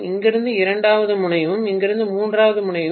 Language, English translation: Tamil, Second terminal from here, and third terminal from here